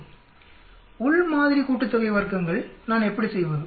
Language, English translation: Tamil, How do I calculate within sample sum of squares